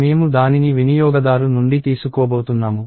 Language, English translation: Telugu, I am going to take it from the user